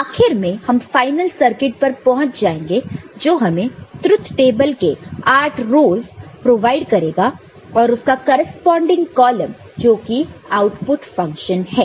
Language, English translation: Hindi, And ultimately you can arrive at the final circuit which is which will provide you the truth table these eight rows and you know, the corresponding column the output function